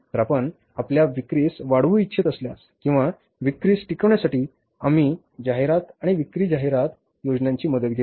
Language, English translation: Marathi, Then if you want to boost up your sales, you are sustained with the sales, we take the help of the advertising and the sales promotion plans